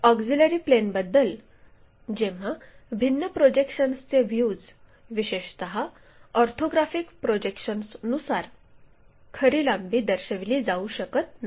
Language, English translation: Marathi, So, about a auxiliary planes, when different projectional views especially orthographic projections this could not show true lengths then we employ this auxiliary plane method